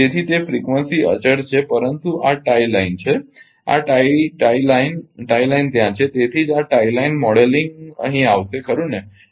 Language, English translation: Gujarati, So, that frequency is constant, but this this is tie line this is tie line tie line is there that is why this tie line modelling will be coming here right